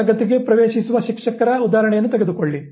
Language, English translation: Kannada, Take the example of the teacher entering the class